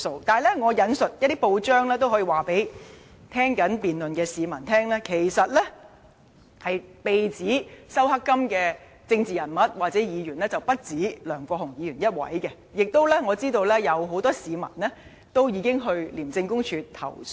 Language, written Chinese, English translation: Cantonese, 不過，根據一些報章的報道，我也可以告訴正在收看辯論的市民，被指收受"黑金"的政治人物或議員其實不止梁國雄議員一人，而我亦知道已有很多市民前往廉署投訴。, But according to some news reports I can tell members of the public who are watching this debate that Mr LEUNG Kwok - hung is not the only political figure or Member alleged to have received black money . As I am aware many people have already filed complaints to ICAC